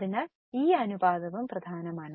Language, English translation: Malayalam, What will be the ratio